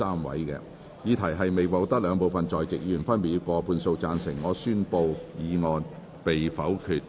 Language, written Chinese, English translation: Cantonese, 由於議題未獲得兩部分在席議員分別以過半數贊成，他於是宣布修正案被否決。, Since the question was not agreed by a majority of each of the two groups of Members present he therefore declared that the amendment was negatived